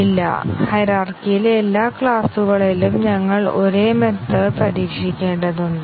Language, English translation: Malayalam, No, we have to test the same method in every class in the hierarchy